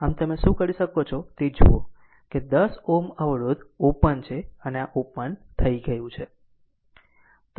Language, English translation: Gujarati, So, what you can do is that look the 10 ohm resistance is open this has been open right